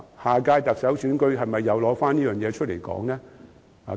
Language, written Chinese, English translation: Cantonese, 下屆特首選舉，是否又拿此事來討論？, Should this issue be brought up again for discussion at the next Chief Executive election?